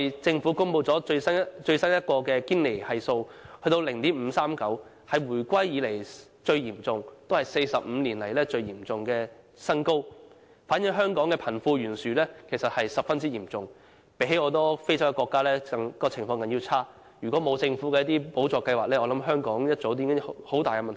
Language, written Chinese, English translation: Cantonese, 政府剛公布了最新的堅尼系數，是 0.539， 是回歸以來最嚴重，亦是45年來的新高，反映香港貧富懸殊的問題十分嚴重，情況比很多非洲國家還要差，如果沒有政府那些補助計劃，我相信香港早已出現很大問題。, This reflects that the problem of disparity between the rich and the poor is very serious in Hong Kong . Our situation is worse than some African countries . Had the Government not provided the various subsidy schemes I thought Hong Kong would have run into great troubles